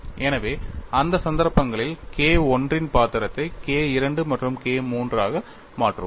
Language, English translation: Tamil, So, in those cases we will have K 2 and K 3 replacing the role of K 1